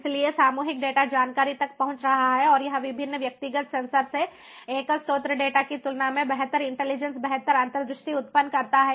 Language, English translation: Hindi, so collective data is reaching information and it generates better intelligence, better insight, compared to the single source data from different individual sensors